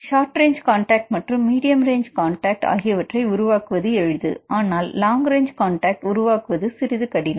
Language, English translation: Tamil, It is easy to make the short range contacts or the medium range contacts, but takes time right to make long range contacts